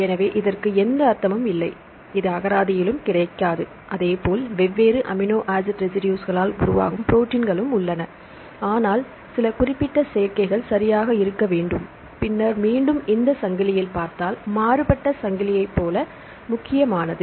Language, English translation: Tamil, So, it has no meaning, it is not available in the dictionary likewise the proteins formed by different amino acid residues, but there should be some specific combinations right and then again if you see in this chain, this is the main chain